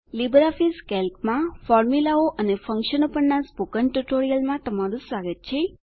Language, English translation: Gujarati, Welcome to the Spoken Tutorial on Formulas and Functions in LibreOffice Calc